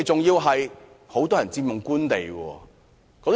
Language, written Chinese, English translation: Cantonese, 他們很多人更佔用官地。, Many of them have improperly occupied government land